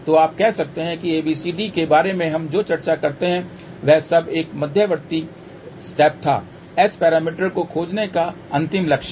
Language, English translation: Hindi, So, you can say that all that ABCD we discuss about that was an intermediate step to reach the final goal of finding S parameters